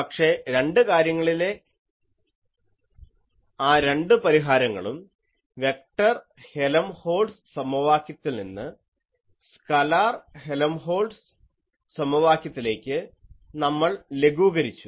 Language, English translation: Malayalam, So, it was a one dimensional source that is why we got away without solving the vector Helmholtz equation, we actually solved the scalar Helmholtz equation